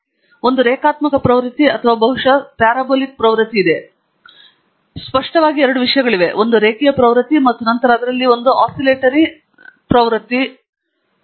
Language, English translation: Kannada, There is a linear trend or probably a slightly parabolic trend, we do not know, but vividly there are two things a linear trend and then there is an oscillatory nature to it